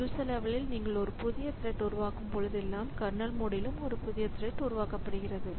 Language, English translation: Tamil, So, whenever a user level thread is created a kernel level thread is also created